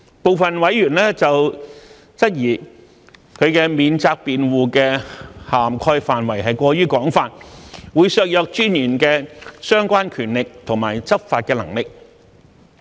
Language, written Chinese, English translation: Cantonese, 部分委員質疑此免責辯護的涵蓋範圍過於廣泛，會削弱私隱專員的相關權力及執法能力。, Some members have questioned whether such defence is too wide in scope that it may undermine the relevant power and capability of law enforcement of the Commissioner